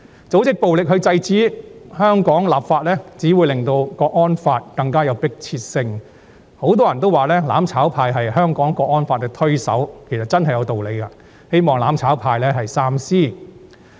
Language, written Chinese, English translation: Cantonese, 組織暴力來制止香港立法，只會令訂立港區國安法更具迫切性，很多人說"攬炒派"是港區國安法的推手，其實真是有道理的，希望"攬炒派"三思。, It actually makes sense that many people called the mutual destruction camp the driving force for the Hong Kong National Security Law . I hope the mutual destruction camp will think twice about it